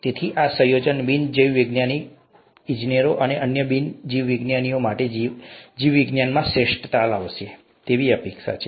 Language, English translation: Gujarati, So this combination is expected to bring out the best of biology for non biologist engineers and other non biologists